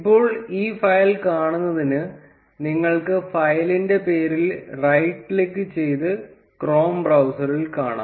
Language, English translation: Malayalam, Now to view this file, you can right click on the file name and see it on the chrome browser